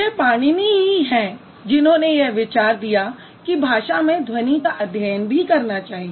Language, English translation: Hindi, It's Panini who actually gave us an idea that sounds in a language should also be studied carefully